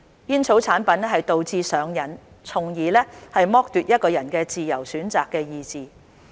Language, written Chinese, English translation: Cantonese, 煙草產品導致上癮，從而剝奪一個人的自由選擇的意志。, Tobacco products cause addiction and thus deprive a person of his or her free will to choose